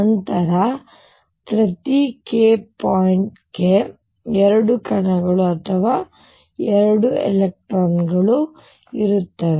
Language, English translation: Kannada, Then there will be 2 particles or 2 electrons per k point